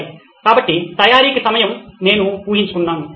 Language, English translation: Telugu, Okay, so time for preparation I guess